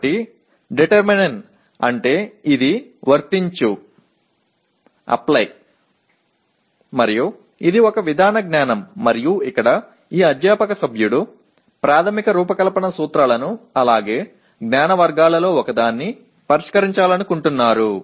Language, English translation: Telugu, So determine means it is Apply and it is a Procedural Knowledge and here this faculty member wants to address Fundamental Design Principles as well as one of the knowledge categories